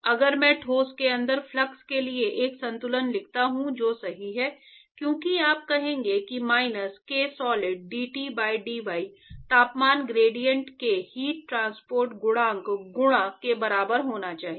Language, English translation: Hindi, Yeah, if I write a balance for the flux inside the solid that is correct, because you will say minus ksolid dT by dy should be equal to the heat transport coefficient times the temperature gradient